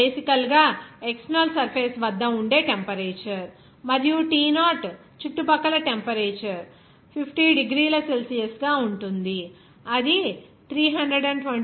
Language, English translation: Telugu, Ti is basically what is the temperature at external surface and T0 is the temperature at the surrounding that will be difference as 50 degrees Celsius that will be is equal to 323 K